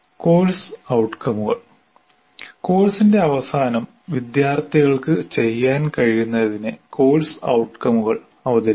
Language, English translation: Malayalam, Course outcomes present what the student should be able to do at the end of the course